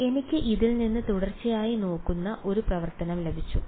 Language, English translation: Malayalam, So, this is I got a continuous looking function out of this right